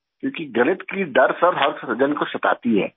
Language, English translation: Urdu, Because the fear of mathematics haunts everyone